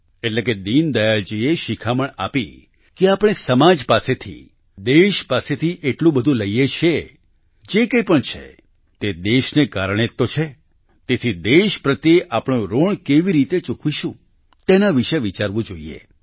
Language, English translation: Gujarati, " That is, Deen Dayal ji taught us that we take so much from society, from the country, whatever it be, it is only because of the country ; thus we should think about how we will repay our debt towards the country